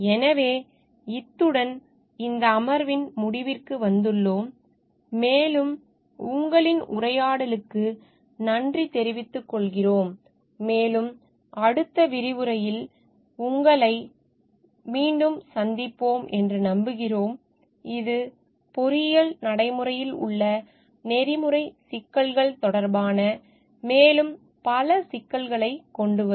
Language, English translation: Tamil, So, with this we come to the end of this session and we thank you for your interaction and we hope to see you again in the next discussions which will bring in further issues related to ethical issues in engineering practice